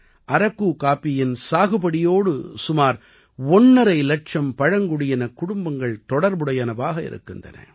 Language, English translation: Tamil, 5 lakh tribal families are associated with the cultivation of Araku coffee